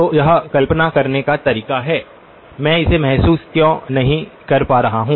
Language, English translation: Hindi, So, the way to visualize it is, why am I not able to realize it